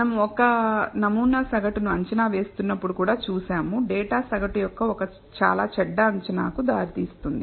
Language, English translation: Telugu, We saw that even when we are estimating a sample mean, one that data can result in a very bad estimate of the mean